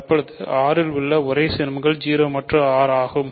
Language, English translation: Tamil, So, the only ideals in R are 0 and R